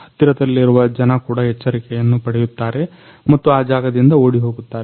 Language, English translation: Kannada, So, nearby people also get an alert and also flee from the that place